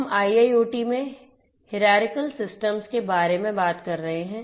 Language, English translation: Hindi, We are talking about hierarchical systems in IIoT